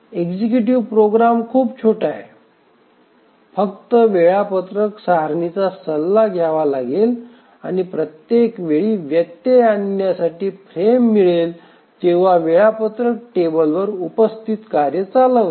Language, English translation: Marathi, The executive program is very small, just needs to consult the schedule table and each time it gets a frame interrupt, it just runs the task that is there on the schedule table